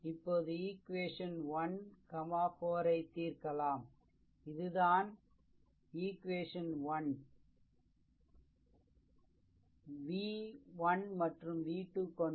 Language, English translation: Tamil, Now solve equation 1 and 4; this is your equation one right in terms of v 1 and v 2 solve equation 1 and 4, right